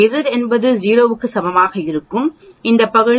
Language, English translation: Tamil, When Z is equal to 0 that means here obviously this area will be 0